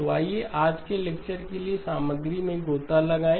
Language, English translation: Hindi, So let us dive into the content for today's lecture